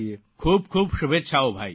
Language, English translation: Gujarati, Many good wishes Bhaiya